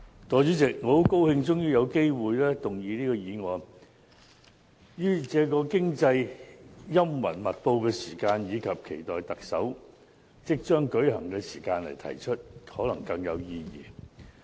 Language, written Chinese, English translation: Cantonese, 代理主席，我很高興終於有機會動議這項議案，於這個經濟陰雲密布的時期，以及期待特首選舉即將舉行的時間來提出，可能更有意義。, Deputy President I am glad that I finally have a chance to move this motion . It is perhaps especially meaningful that this motion is moved at this time when the economic outlook is gloomy and the long - awaited Chief Executive Election is soon to be held